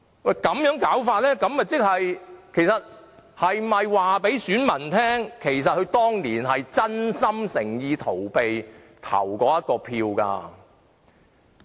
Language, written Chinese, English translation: Cantonese, 那麼，他們是否要告訴選民，當年是真心誠意要逃避投這一票？, In this case are they trying to tell their voters that they were whole - heartedly and sincerely trying to avoid participating in voting back then?